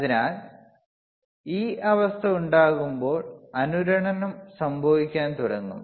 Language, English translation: Malayalam, So, when this condition occurs, then the resonancet will start occurring